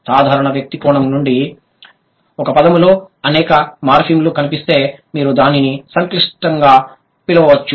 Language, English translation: Telugu, From a layperson's perspective, if there are many morphemes found in a word, you can call it complex